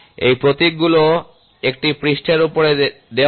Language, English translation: Bengali, So, these symbols are given on a surface